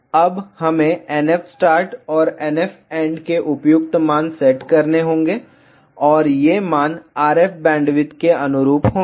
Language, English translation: Hindi, Now, we have to set appropriate values of NF start and NF end and these values will correspond to the RF bandwidth